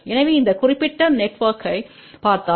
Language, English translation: Tamil, So, if you look at just this particular network